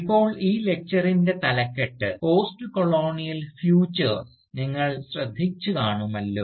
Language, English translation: Malayalam, Now, as you might have noticed, the title of this Lecture is, Postcolonial Futures